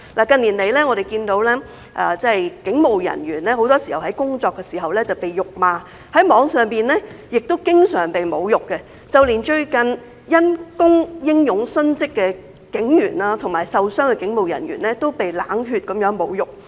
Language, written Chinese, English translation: Cantonese, 近年，我們看到警務人員在工作的時候經常被辱罵，在網絡上亦經常被侮辱，連最近因公英勇殉職和受傷的警務人員都被冷血地侮辱。, As we have seen in recent years police officers are often insulted while on duty and on the Internet . Even those brave police officers who have recently died or got injured while on duty are subject to cold - blooded insults